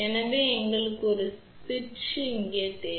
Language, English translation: Tamil, So, where do we need a switch ok